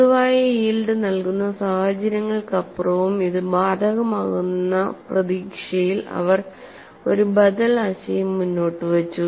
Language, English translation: Malayalam, They advanced an alternative concept in the hope that, it would apply even beyond general yielding conditions